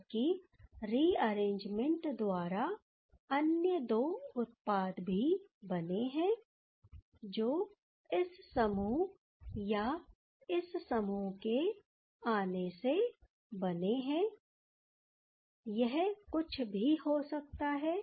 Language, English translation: Hindi, Whereas, there are other two products formed by this rearrangement that is the coming of these group or these group whatever it may be ok